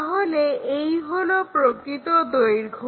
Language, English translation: Bengali, So, this is apparent length